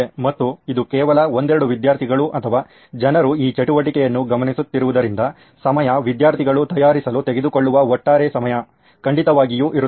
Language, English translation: Kannada, And because it is only a couple of students or people who are looking into this activity, the time, the overall time taken by students to prepare is definitely there